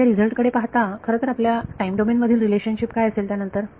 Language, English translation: Marathi, So, as a result of this what is actually our time domain relation then